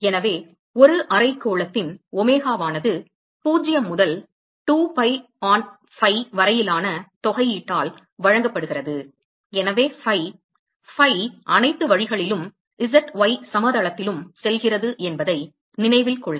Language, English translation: Tamil, So, omega of a hemisphere is given by integral 0 to 2 pi on phi, so phi so note that phi goes all the way around and z y plain